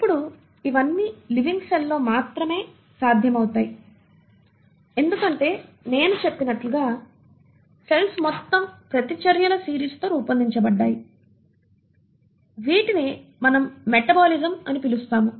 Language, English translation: Telugu, Now, all this is only possible in a living cell because, as I said, cells are made up of a whole series of reactions which are taking place, which is what we call as metabolism